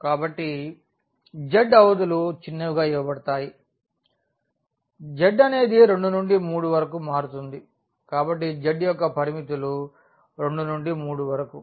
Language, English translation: Telugu, So, the z limits trivially given there that z varies from 2 to 3; so, the limits of z 2 to 3